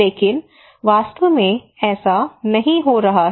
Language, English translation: Hindi, But actually it is not happening